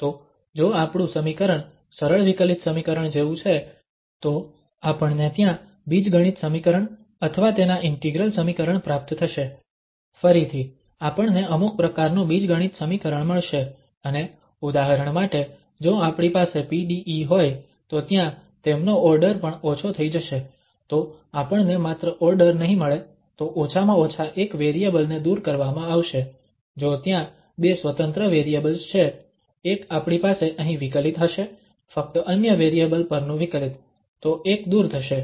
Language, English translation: Gujarati, So, if our equation is like simple differential equation, we will get algebraic equation there or its integral equation, again we will get some kind of algebraic equation, and if we have the PDEs, for instance there, so their order will also be reduced, so we will get not only the order so one variable at least if there are two independent variables, one we will have here the differential, the differentiation over the other variable only, so one will be removed